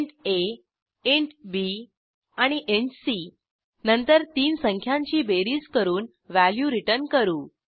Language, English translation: Marathi, Int a, int b and int c Then we perform addition of three numbers